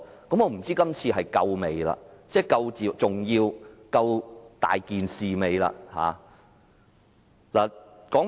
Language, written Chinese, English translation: Cantonese, 我不知道這次事件是否足夠重要，是否足夠嚴重。, I wonder if this incident is important or serious enough to gain their support